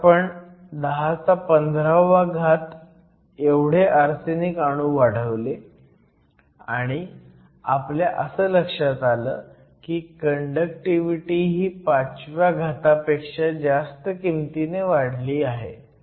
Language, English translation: Marathi, We added 10 to the 15 arsenic atoms and we found that your conductivity has increased by more than 5 orders of magnitude